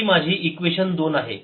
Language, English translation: Marathi, this my equation two